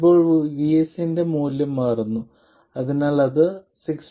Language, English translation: Malayalam, Then if VS changes to 6